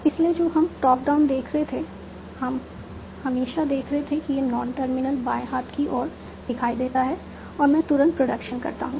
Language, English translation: Hindi, So, what we were seeing in top down, we were always seeing wherever this non term layer appears in the left hand side and I immediately do the production